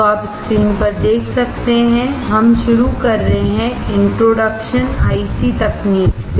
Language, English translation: Hindi, So, you can see on the screen, we are starting with the introduction to IC technology